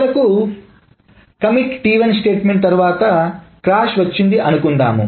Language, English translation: Telugu, And finally suppose there is a crash after the commit T1 statement